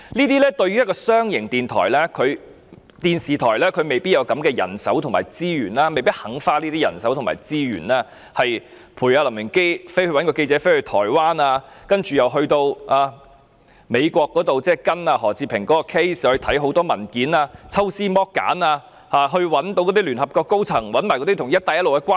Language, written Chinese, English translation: Cantonese, 對於一間商營電視台，它未必有這些人手及資源，也未必願意花這些人手及資源，派出一位記者跟隨林榮基到台灣，又或派人到美國跟進何志平的案件，查看大量文件，抽絲剝繭，並找聯合國高層及找出與"一帶一路"的關係。, In the case of a commercial television station it may not have or may not be willing to expend such manpower and resources . It may not send a reporter to follow LAM Wing - kee to Taiwan . It may not send staff to the United States to follow the case of Patrick HO to examine a large volume of documents to make painstaking efforts to invest the case to contact the highest echelon of the United Nations and to find out the association with the Belt and Road Initiative